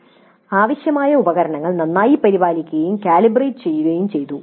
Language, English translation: Malayalam, The required equipment was well maintained and calibrated properly